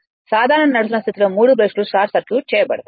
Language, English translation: Telugu, Under normal running condition the 3 brushes are short circuited